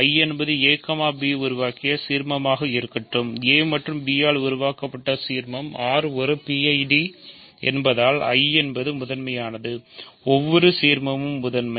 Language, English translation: Tamil, So, let I be the ideal generated by a, b; ideal generated by a and b; since R is a PID I is principal, every ideal is principal